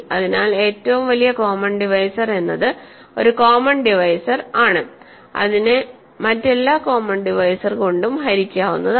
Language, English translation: Malayalam, So, a greatest common divisor is a common divisor which is divisible by every common divisor